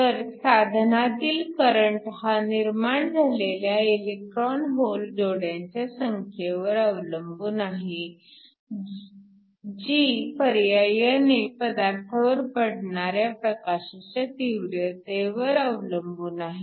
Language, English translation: Marathi, So, The current in this device is directly proportional to the number of electrons hole pairs that are generated, which in turn depends upon the intensity of the light that falls on the material